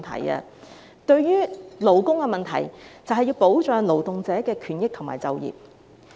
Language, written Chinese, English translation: Cantonese, 關於勞工問題，我們正是要保障勞動者的權益和就業。, Concerning labour problems what we should do is to protect the rights interests and employment of workers